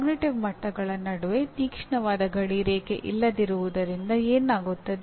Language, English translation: Kannada, And what happens as there is no sharp demarcation between cognitive levels